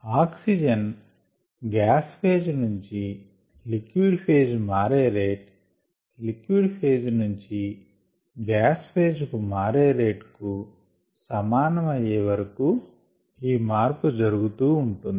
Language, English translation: Telugu, the concentrations are such: the rate of oxygen movement from the gas phase to the liquid phase equals the rate of oxygen movement, oxygen molecule movement from the liquid phase to the gas phase